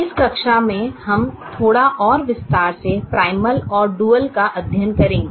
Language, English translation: Hindi, in this class we will study the primal and the dual in little more detail